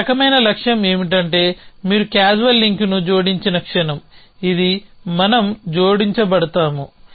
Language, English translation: Telugu, So, something which is a kind of goal with is that the moment you added a causal link this a causal link we are added